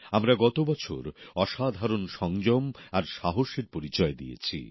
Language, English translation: Bengali, Last year, we displayed exemplary patience and courage